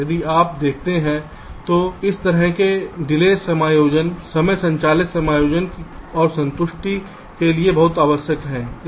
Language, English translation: Hindi, for if you see, this kind of delay adjustments are very commonly required for timing driven adjustments and ah constraints, satisfaction